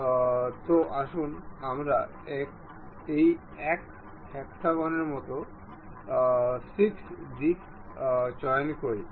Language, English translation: Bengali, So, let us pick this one, this one, all the 6 sides of hexagon